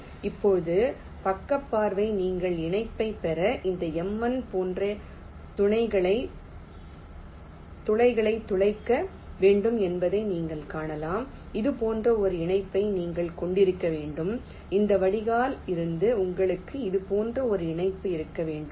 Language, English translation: Tamil, now, side view, you can see that for connection you need to drill holes like this m one to take connection, you have to have a connection like this from this drain